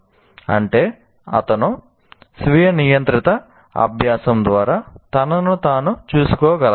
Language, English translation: Telugu, That means he should be able to take care of himself through self regulated learning